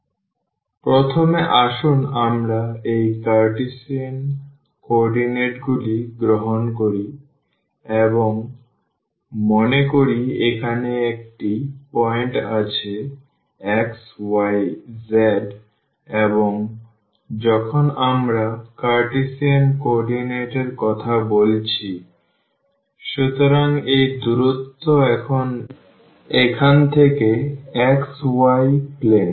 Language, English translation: Bengali, So, here what we have first let us take these Cartesian coordinates and suppose there is a point here x y z and when we are talking about the Cartesian coordinate; so, this distance now from here to the xy plane